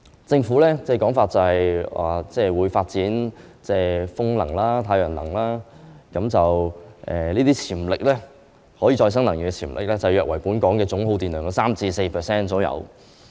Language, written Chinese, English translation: Cantonese, 政府說會發展風能、太陽能，這些可再生能源的潛力約為本港總耗電量的 3% 至 4%。, The Government says that it is going to develop renewable energy such as wind energy and solar energy which may potentially support 3 % to 4 % of the total electricity consumption in Hong Kong